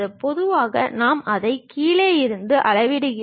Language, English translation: Tamil, And usually we measure it from bottom all the way to that